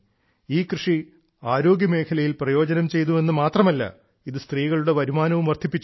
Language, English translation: Malayalam, Not only did this farming benefit in the field of health; the income of these women also increased